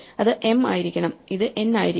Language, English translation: Malayalam, So, this should be m and this should be n